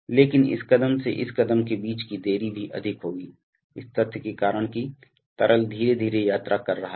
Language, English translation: Hindi, But the delay between this step and this step will also be higher, because of the fact that the, that the liquid is traveling slowly